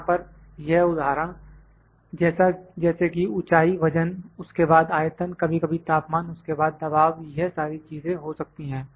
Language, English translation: Hindi, These examples here can be height, weight, then volume, sometimes temperature, then pressure all those things